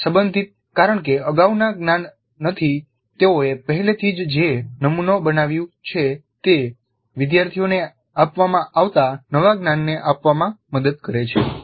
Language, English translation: Gujarati, Relevant because the model that they already have built up from the previous knowledge must help the students in absorbing the new knowledge that is being imparted